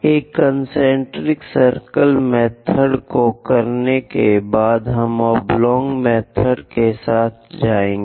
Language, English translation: Hindi, After doing this concentric circle method, we will go with oblong method